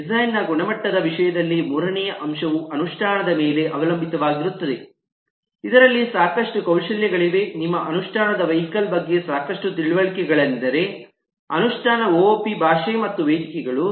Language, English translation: Kannada, the third aspect, in terms of the quality of design, will depend on the implementation, which is often would mean a lot of skill, lot of understanding of your vehicle of implementation, that is, the implementation op language, as well as the platform